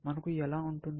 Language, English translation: Telugu, How can we have